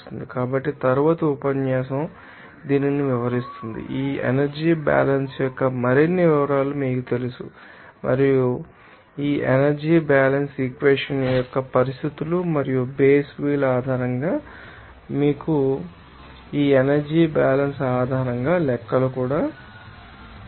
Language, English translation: Telugu, So, the next lecture will describe this, you know more details of this energy balance and also other, you know, conditions of this energy balance equation and based on base will, you know, do some, you know calculations based on this energy balance